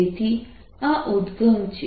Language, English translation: Gujarati, so this is the origin